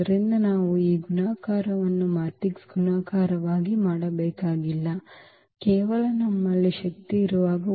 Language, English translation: Kannada, So, we do not have to do this multiplication as the matrix multiplication just simply when we have the power n